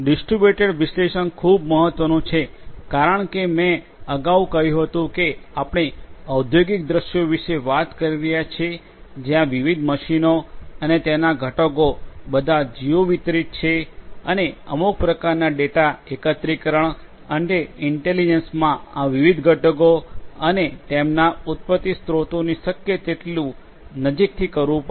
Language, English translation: Gujarati, Distributed analytics is very important because as I said earlier we are talking about industrial scenarios where different machines and their components are all geo distributed and some kind of data aggregation and intelligence will have to be performed as close as possible to these different components and their sources of origination